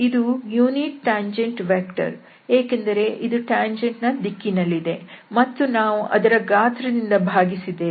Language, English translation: Kannada, This is going to be the unit tangent vector because this is along the tangent and we have divided by its magnitude